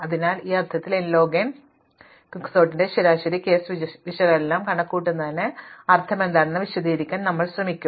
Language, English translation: Malayalam, So, we will not actually show that it is n log n, but we will try to at least explain what it means to compute the average case analysis of Quicksort